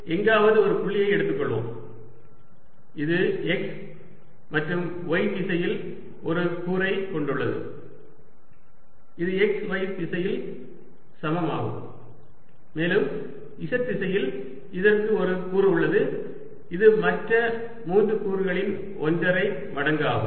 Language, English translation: Tamil, it has a component in x and y direction, x, y direction, which are equal, and in the z direction it has a component which is one and a half times the other three components